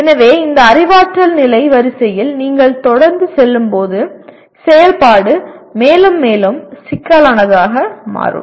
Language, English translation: Tamil, So as you keep moving up this cognitive level hierarchy the activity can become more and more complex as we call it